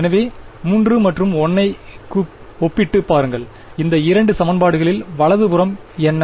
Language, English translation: Tamil, So, look at compare 3 and 1 what is the right hand side of these two equations